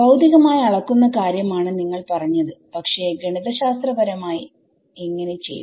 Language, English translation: Malayalam, How in physically you are saying measure the field, but mathematically what do I do